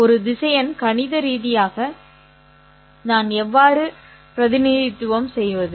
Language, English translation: Tamil, How do we represent vectors mathematically